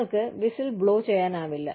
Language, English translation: Malayalam, You cannot blow the whistle